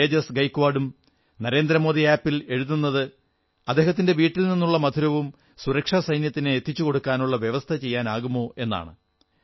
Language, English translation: Malayalam, Shriman Tejas Gaikwad has also written on NarendramodiApp whether there could be an arrangement to send our homemade sweets to the security forces